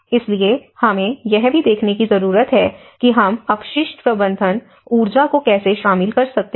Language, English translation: Hindi, So, we need to see how we can incorporate the waste management, energy